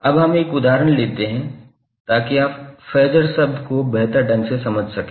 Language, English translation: Hindi, Now, let us take one example so that you can better understand the term of Phasor